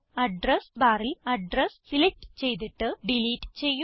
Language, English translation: Malayalam, * In the address bar select the address and delete it